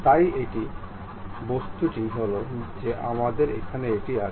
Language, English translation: Bengali, So, this is the object what we have